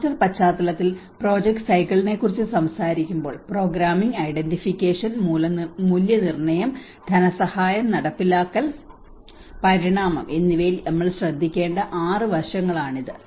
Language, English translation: Malayalam, When we talk about the project cycle in the disaster context, these are the 6 aspects which we need to look at the programming, identification, appraisal, financing, implementation and evolution